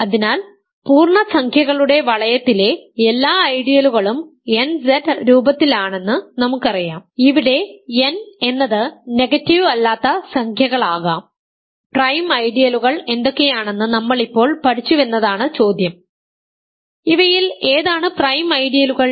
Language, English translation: Malayalam, So, we know from before that all ideals in the ring of integers are of the form nZ, where n can be any non negative integer; now the question is now that we have learnt what are prime ideals, which of these are prime ideals